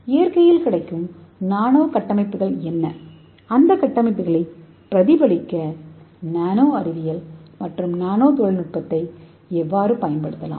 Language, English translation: Tamil, So what are the nanostructures available in nature and how we can use the nanoscience and nanotechnology to replicate those structures and how we can make useful product for the human applications